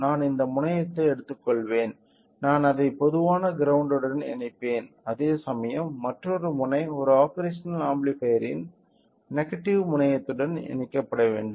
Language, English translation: Tamil, So, I will take this terminal I will connect it to the common ground whereas, another end should be connected to the negative terminal of an operational amplifier